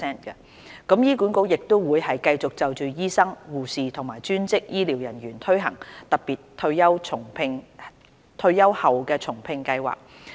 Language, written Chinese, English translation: Cantonese, 醫管局亦會繼續就醫生、護士和專職醫療人員推行特別退休後重聘計劃。, HA will also continue to implement the Special Retired and Rehire Scheme for doctors nurses and allied health staff